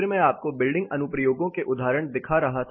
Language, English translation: Hindi, I will also show you some applied examples